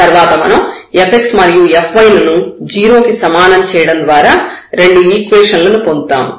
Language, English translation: Telugu, So, there are 3 points here which can make this fx and fy both 0 with this possibilities and now we have another one